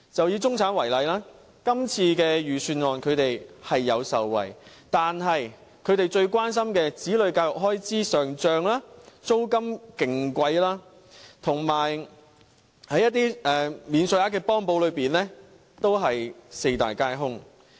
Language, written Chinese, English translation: Cantonese, 以中產為例，今次預算案，他們是有受惠的，但他們最關心子女教育開支上漲、租金非常貴、以及在一些免稅額幫補方面，均是四大皆空的。, Take the middle class as an example . They do benefit from the Budget this year yet regarding critical issues among them such as inflating education expenses for their kids exorbitant rents and tax allowances the Budget has been silent